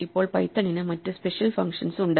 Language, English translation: Malayalam, Now python has other special functions